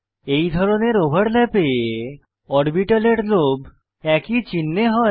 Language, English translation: Bengali, In this type of overlap, lobes of orbitals are of same sign